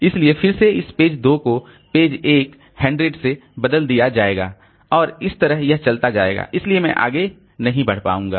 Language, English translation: Hindi, So again this page 2 will be replaced by page 100 and this will go on this will go on doing that thing so I will not be able to proceed